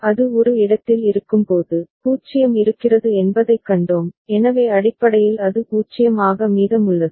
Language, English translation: Tamil, And we had seen that when it is at a, 0 is there, so basically it is remaining at 0